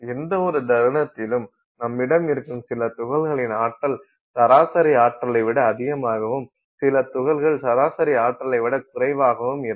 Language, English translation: Tamil, So, therefore at any given instant, you will have some number of particles which are actually having higher than the average amount of energy and some number of particles lower than the average amount of energy